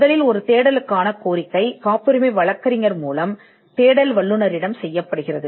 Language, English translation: Tamil, Number one, a search request is made by the patent attorney to the searcher